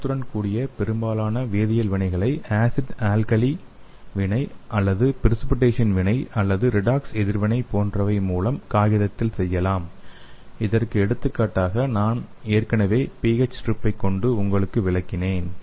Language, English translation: Tamil, So the most chemical reactions with colour change can be achieved on paper such as acid alkali reaction or precipitation reaction and redox reaction so which I already explained you with the example of pH test strips